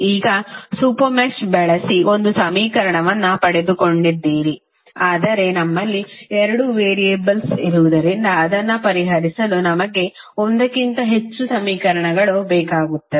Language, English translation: Kannada, Now, you have got one equation using super mesh but since we have two variables we need more than one equation to solve it